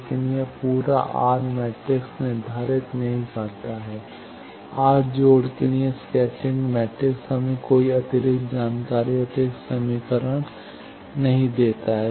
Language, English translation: Hindi, But, that does not this determines the complete R matrix, scattering matrix for R connections but that does not give us any extra information, extra equation